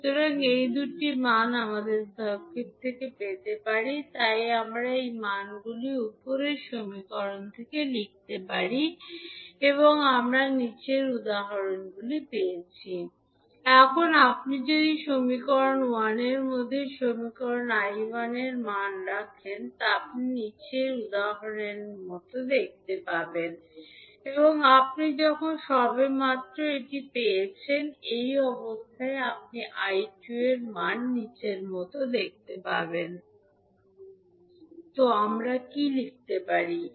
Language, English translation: Bengali, So, these two values we can get from the circuit, so we can put these values in the above equation, so we get 100 equal to 40 I1 minus, plus J20 I2 and when we put the value of V2 as minus 10 I2 in the second equation and simplify we get I1 is nothing but equal to J times to I2